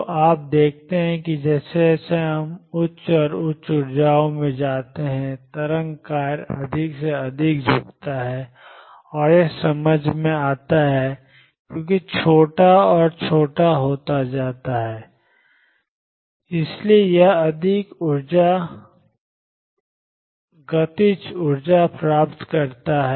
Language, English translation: Hindi, So, you see as we go to higher and higher energies, wave function bends more and more and that make sense, because lambda becomes smaller and smaller, So it gains more kinetic energy